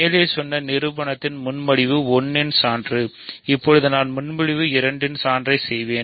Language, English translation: Tamil, So, this is proof of proposition 1, now I will do proof of proposition 2